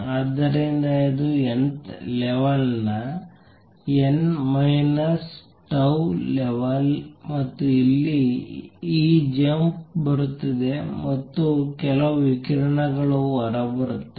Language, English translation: Kannada, So, this is nth level n minus tau level and here is this jump coming in and some radiation comes out